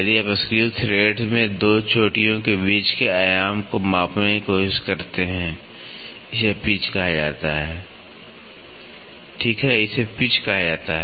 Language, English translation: Hindi, The if you try to measure the dimension between 2 peaks successive speaks in a screw thread this is called as pitch, right, this is called as Pitch